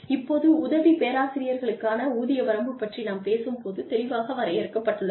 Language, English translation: Tamil, Now, when we talk about, within the pay range for assistant professors, is clearly defined